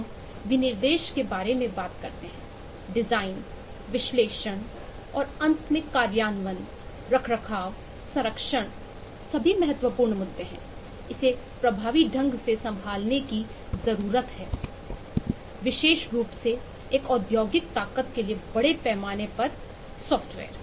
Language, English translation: Hindi, irrespective of which kind of software system we talk about, the specification, design, analysis and, finally, implementation, maintenance, preservation are all critical issues that need to be effectively handled, particularly for a industrial strength, large scale software